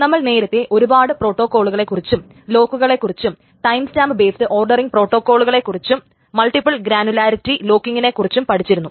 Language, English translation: Malayalam, So, we will continue with the concurrency control protocols as we have already seen many protocols, locks and timestamp based ordering protocol and so on, also the multiple granularity lockings